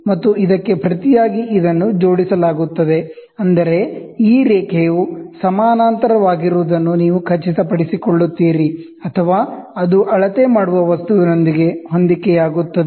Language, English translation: Kannada, And this in turn is clamped by this, such that you make sure that this line is in parallel or it is in coincidence with the measuring object